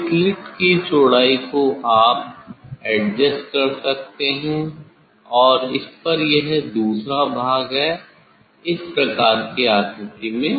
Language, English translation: Hindi, that slit you can adjust the width of the slit and there is another part on it this type of shape